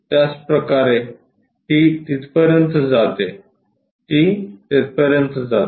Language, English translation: Marathi, Similarly, it goes all the way there, it comes all the way there